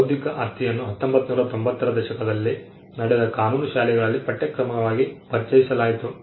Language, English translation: Kannada, Intellectual property also was introduced as a syllabus in law schools that happened in the 1990s